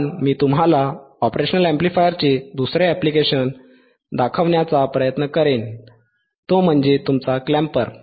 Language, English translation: Marathi, bBut I will try to show you is the another application of operational amplifier, that is your clamper